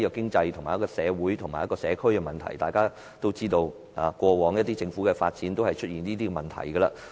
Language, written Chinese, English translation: Cantonese, 發展涉及經濟、社會及社區的問題，大家也知道，過往政府的發展均出現這些問題。, Land development involves economic social and community problems and we know that such problems had arisen during land development by the Government in the past